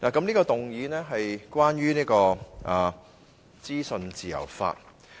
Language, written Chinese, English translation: Cantonese, 這項議案是關於資訊自由法。, The motion is related to the legislation on freedom of information